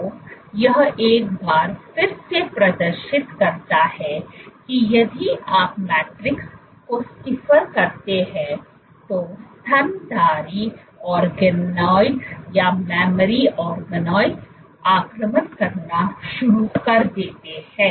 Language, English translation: Hindi, So, this once again demonstrates that if you make the matrix stiffer then these mammary organoids start to invade